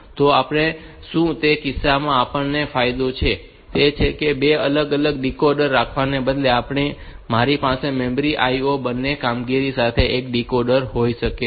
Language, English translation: Gujarati, So, what we, in that case the advantage that we have is in instead of having 2 different decoders we can have a single decoder for both the memory and the IO operations